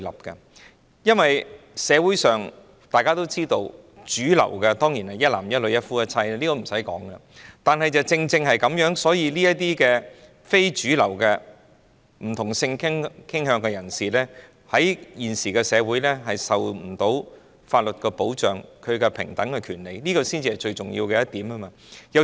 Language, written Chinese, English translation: Cantonese, 大家也知道，社會上主流當然是一男一女、一夫一妻的婚姻制度，這不用多說，但正因如此，非主流的不同性傾向人士的平等權利在現今社會未能受到法律保障，這才是最重要的一點。, To state the obvious the mainstream society of course upholds an institution of monogamy and heterosexual marriage but it is precisely for this reason that the equal rights for non - mainstream people of different sexual orientations are not protected by law in todays society . This is the most important point